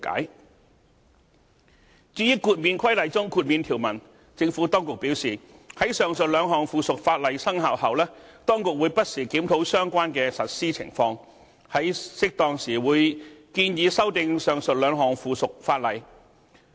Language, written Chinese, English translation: Cantonese, 至於《建造業工人註冊規例》中的豁免條文，政府當局表示，在上述兩項附屬法例生效後，當局會不時檢討相關的實施情況，在適當時會建議修訂上述兩項附屬法例。, As for the exemption provisions in the Construction Workers Registration Exemption Regulation the Administration has advised that it will from time to time review the implementation of the two items of subsidiary legislation after commencement and where appropriate propose amendments to them